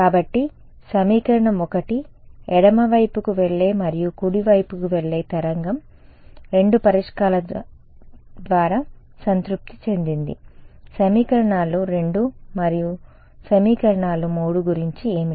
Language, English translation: Telugu, So, equation 1 was satisfied by both the solutions left going and right going wave right what about equations 2 and equations 3